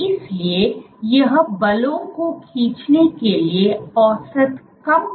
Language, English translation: Hindi, So, this is on an average less sensitive to pulling forces